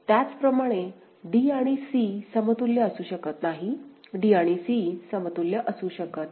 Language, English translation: Marathi, Similarly, d and c cannot be equivalent right; d and c cannot be equivalent; is it fine